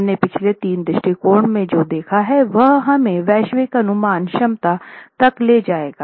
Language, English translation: Hindi, So, what we have seen in the last three approaches will lead us to a global estimate of the capacities